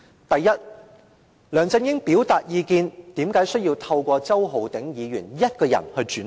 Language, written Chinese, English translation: Cantonese, 第一，梁振英要表達意見，為甚麼只透過周浩鼎議員一人轉達？, First if LEUNG Chun - ying wanted to express his views why did he do so through Mr Holden CHOW alone?